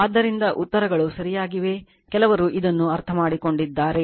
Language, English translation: Kannada, So, answers are correct , some of you have understood this right